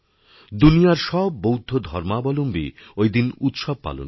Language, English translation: Bengali, Followers of Lord Budha across the world celebrate the festival